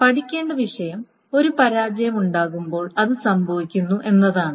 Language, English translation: Malayalam, But the point to study is that when there are failure, when there is a failure that happens